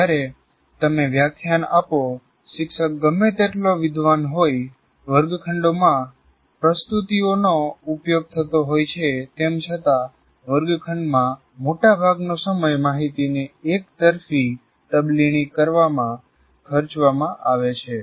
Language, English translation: Gujarati, Because when you lecture, however knowledgeable the teacher is, however much the way of presenting in the classroom is good or bad, most of the time in the classroom is spent in transfer of information one way